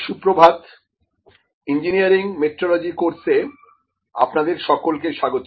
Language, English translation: Bengali, Good morning welcome back to the course Engineering Metrology